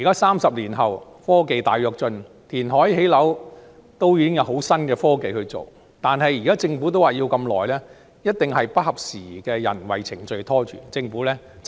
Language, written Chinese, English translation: Cantonese, 三十年後的今天科技大躍進，填海、建屋已經有很新穎的科技，政府仍說要這麼長時間，一定是不合時宜的人為程序拖累，政府真的要下決心改正。, Nowadays with the advanced technology in reclamation and housing construction the only reason for the project to drag on for so long must be the outdated procedures which the Government should really be determined to rectify